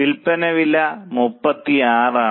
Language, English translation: Malayalam, Sailing price is 35